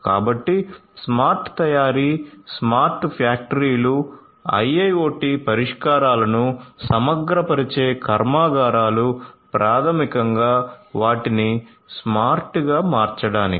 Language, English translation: Telugu, So, smart manufacturing, smart factories, factories which integrate IIoT solutions to basically transformed them to be smart